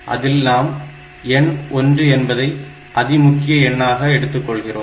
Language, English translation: Tamil, 5 we will take 1 as the significant number